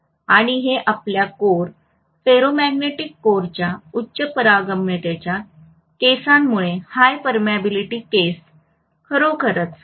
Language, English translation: Marathi, And that will be really really small because of the high permeability case of your core, ferromagnetic core